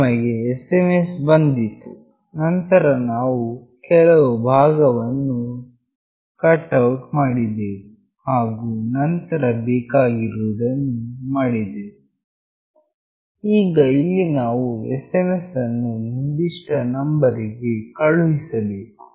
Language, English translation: Kannada, We received the SMS, then we cut out some part and then we did the needful, now here we have to send the SMS to a particular number